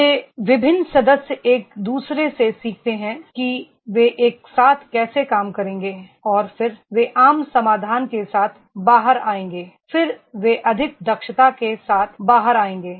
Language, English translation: Hindi, ) These different members they learn from each other that is how they will work together and then they will come out with the common solution, they will come out with the more efficiency is then